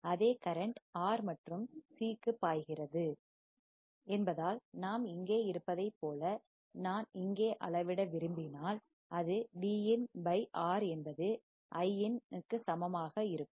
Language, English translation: Tamil, Since the same current flows to R and C, as we have here, if I want to measure here , it will be Vin by R equals to Iin